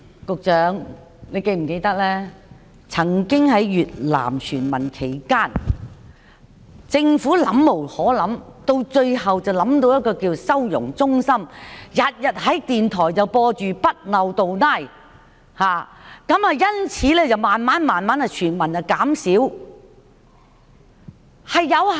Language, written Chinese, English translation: Cantonese, 局長，你是否記得，過去在越南船民問題上，政府沒對策，最後想到設立收容中心，每天在電台播放"不漏洞拉"，船民數目也因而逐漸減少。, Secretary do you remember that in the past on the issue of Vietnamese boat people the Government could not come up with any counter measure . In the end it thought of setting up reception centres and each day it broadcast the message with the phrase bắt đầu từ nay from now on on the radio every day and as a result the number of boat people decreased gradually